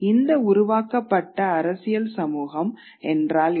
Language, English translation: Tamil, And what is this political community that is created